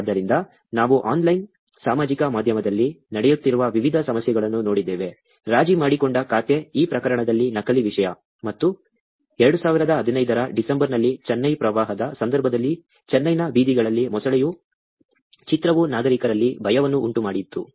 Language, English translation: Kannada, So, we looked at different issues that are happening on online social media; compromised account, fake content in this case; and image of a crocodile on the streets of Chennai, while Chennai floods was going on in December 2015, caused panic among citizens